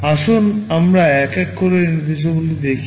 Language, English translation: Bengali, Let us look at these instructions one by one